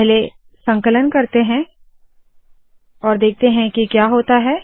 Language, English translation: Hindi, Lets first compile it and see what happens